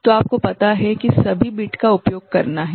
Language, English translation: Hindi, So, you have to you know use all the bit